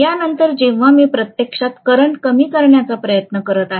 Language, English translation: Marathi, After that, when I am trying to actually reduce the current, right